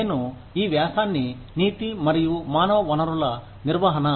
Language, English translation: Telugu, The article is called, Ethics and Human Resource Management